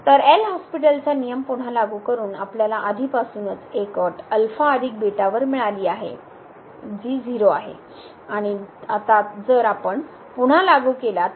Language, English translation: Marathi, So, applying this L’Hospital’s rule again so, we got already one condition on alpha plus beta which is equal to and now if we apply